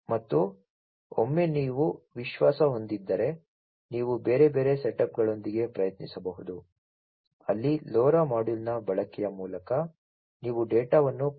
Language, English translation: Kannada, And then once you are confident you could try out with different other you know other setups where through the use of LoRa module you would be sending the data from 0